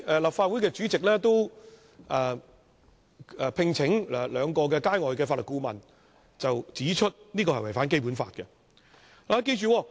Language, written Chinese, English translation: Cantonese, 立法會主席聘請的兩位外界法律顧問，均指修訂違反《基本法》。, The two external counsel engaged by the President have both indicated that the amendment was in breach of the Basic Law